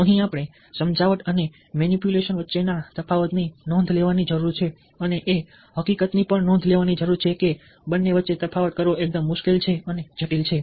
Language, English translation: Gujarati, here we need to note the difference between persuasion and manipulation and also need to know the fact that differentiating between the two is fairly difficult and complicated